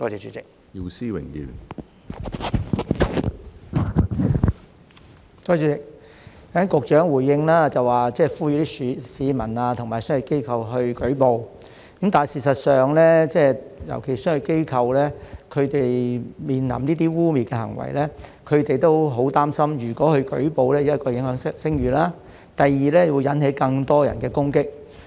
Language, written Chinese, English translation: Cantonese, 主席，局長剛才回應，呼籲市民和商業機構去舉報，但事實上，尤其是商業機構，他們面臨這些污衊行為時也很擔心，如果去舉報，第一會影響聲譽，第二會引起更多人的攻擊。, President in his reply just now the Secretary has called on the public and business organizations to make a report but in fact business organizations are particularly concerned that if they face these smears and make a report not only will their reputation be tarnished but more people may launch attacks against them